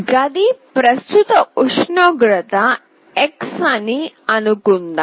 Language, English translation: Telugu, Suppose the current temperature of the room is x